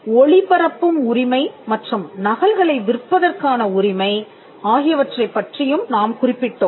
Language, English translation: Tamil, We also referred to the right to broadcast and also the right to sell the copies